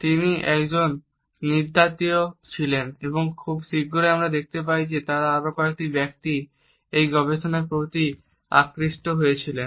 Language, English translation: Bengali, He was an anthropologist and very soon we find that several other people were drawn to this research